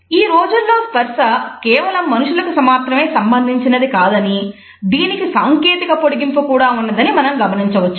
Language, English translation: Telugu, Nowadays we find that touch is not only related to human beings only, it has got a technological extension also